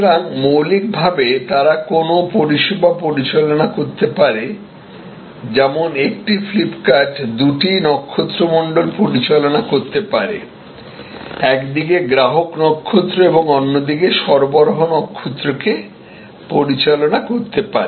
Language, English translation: Bengali, So, fundamentally, they can manage a service like, a FlipKart can manage two constellations, the customer constellations on one side and the supply constellations another side